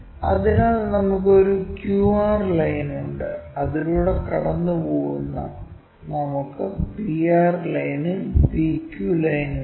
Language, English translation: Malayalam, So, we have a QR line which goes through that we have a P R line and we have a PQ line